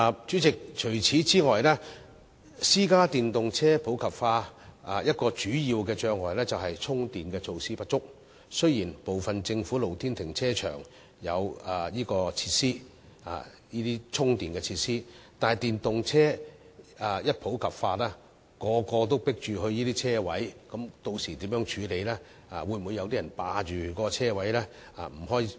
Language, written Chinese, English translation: Cantonese, 主席，此外，電動私家車普及化一個主要障礙，就是充電設施不足，雖然部分政府露天停車場設有充電設施，但當電動車普及後，若所有人都爭相到可充電車位，屆時又該如何處理呢？, President besides a major obstacle to the popularization of electric private cars is insufficient charging facilities . Although some government open - air car parks are installed with charging facilities when EVs become popularized how will the Government deal with all the EV drivers who fight for the parking spaces with charging facilities?